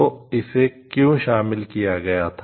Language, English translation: Hindi, So, why it got included